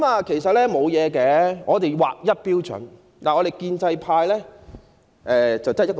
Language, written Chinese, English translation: Cantonese, 其實只需要有一套劃一標準便可，建制派的標準只得一個。, What we need is just one set of standardized criteria and there is only one set of standards adopted in the pro - establishment camp